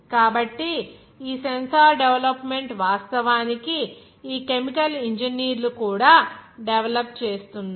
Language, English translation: Telugu, so this sensor development it is actually being developed by this chemical engineers also